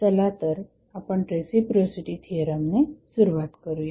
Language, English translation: Marathi, So, let us start with the reciprocity theorem